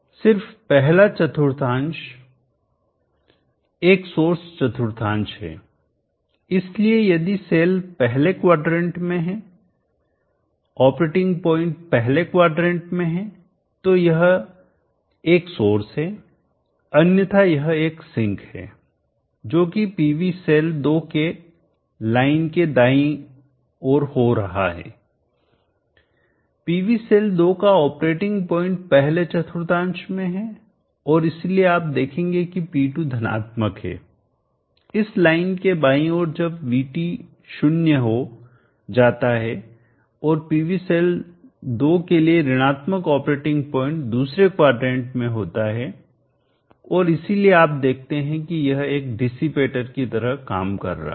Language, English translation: Hindi, In this case and the second quadrant is not a associating quadrant it is a sinking quadrant only the first quadrant is a sourcing quadrant so if has cell is in the first quadrant the operating point is in the first quadrant then it is a source otherwise it is a sink that is what is happening to the PV cell 2 to the right of the line the PV cell 2 the operating points are in the first quadrant and therefore you will see that P2 is positive to the left of this line when VT becomes 0